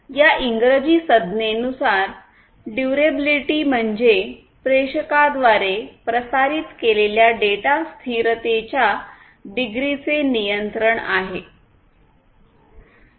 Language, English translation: Marathi, Durability as this English term suggests; it talks about the control of the degree of data persistence transmitted by the sender